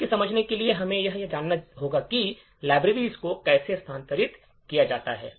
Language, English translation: Hindi, In order to understand this, we will need to know how libraries are made relocatable